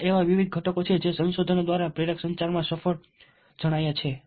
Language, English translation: Gujarati, these are the various components which have been, through research, found to be successful in persuasive communication